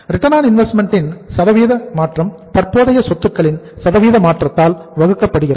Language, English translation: Tamil, Percentage change in ROI divided by the percentage change in the current assets